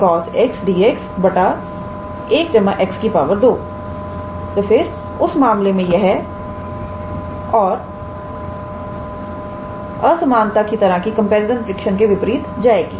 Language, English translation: Hindi, Then in that case it will be in contrast with the with the comparison test of inequality type